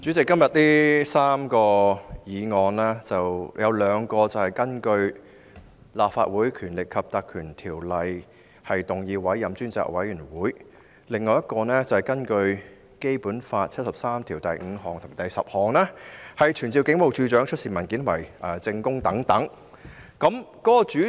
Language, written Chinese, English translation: Cantonese, 主席，今天這項辯論涵蓋3項議案，兩項是根據《立法會條例》委任專責委員會，另一項則是根據《基本法》第七十三條第五項及第十項動議傳召警務處處長出示文件和作證。, President this debate today covers three motions two for appointing a select committee under the Legislative Council Ordinance and one for summoning the Commissioner of Police to produce papers and testify under Article 735 and 10 of the Basic Law